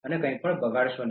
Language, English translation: Gujarati, Do not waste anything